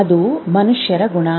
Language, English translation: Kannada, That is the quality of human beings